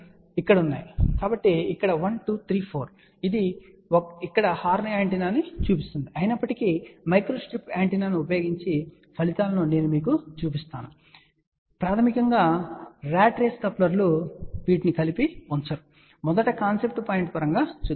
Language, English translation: Telugu, So, here 1 2 3 4 of course, this one shows here horn antenna; however, I will show you the results using microstrip antenna, and these are the basically ratrace couplers which are put together, but let just first look at the concept point of view